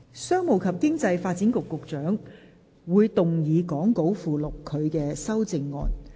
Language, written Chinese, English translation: Cantonese, 商務及經濟發展局局長會動議講稿附錄他的修正案。, The Secretary for Commerce and Economic Development will move his amendment as set out in the Appendix to the Script